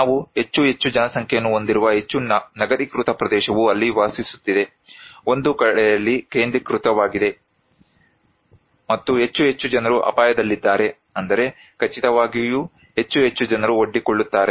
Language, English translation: Kannada, More urbanized area we are having more and more populations are living there, concentrated in one pocket and more and more people are at risk, that is for sure, more and more people are exposed